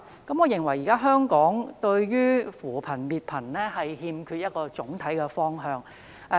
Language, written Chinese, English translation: Cantonese, 我認為現時香港對於扶貧、滅貧欠缺總體方向。, I think Hong Kong lacks a general direction for the alleviation and elimination of poverty